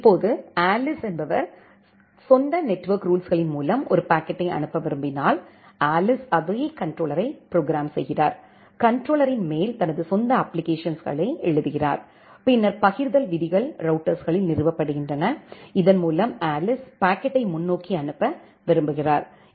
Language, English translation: Tamil, Now, when Alice wants our own set of network rules to forward a packet, Alice also program the same controller, write her own application on top of the controller and then the forwarding rules are installed in the routers on through which Alice wants to forward the packet